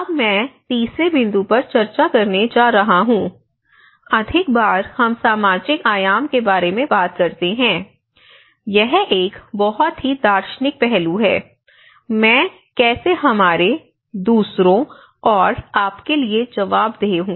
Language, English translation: Hindi, And this is the third point which I am going to discuss is more often we talk about the social dimension, this is more of a very philosophical aspect, how I is accountable for we and others and yours